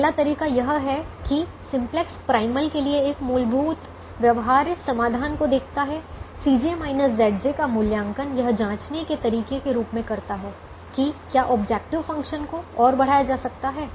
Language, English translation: Hindi, the first way is simplex: looks at a basic feasible solution to the primal, evaluates c j minus z j as a way to check whether the objective function can be further increased